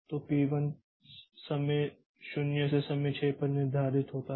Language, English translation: Hindi, So, P 1 gets scheduled from time 0 to time 6